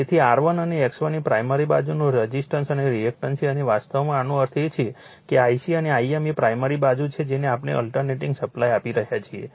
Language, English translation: Gujarati, So, the R 1 and X 1 is the primary side resistance and reactance and this is actually we are meant to this is your what you call that I c and I m that is your primary side we are giving the alternating supply